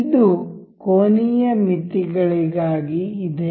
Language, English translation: Kannada, This is for angular limits